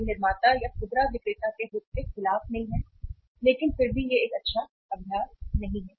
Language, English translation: Hindi, It is not against the interest of the manufacturer or the retailer but still it is not a good practice